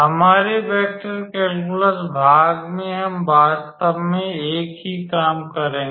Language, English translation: Hindi, In our vector calculus part we will do the same thing actually